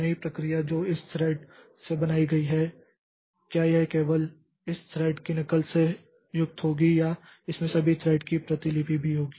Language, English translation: Hindi, Now, what will happen whether the new process that is created, so will it be consisting of copy of this thread only or it will also have copies of all these threads